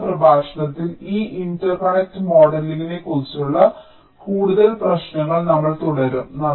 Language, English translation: Malayalam, in the next lecture we shall be continuing with some more issues on ah, this interconnect modeling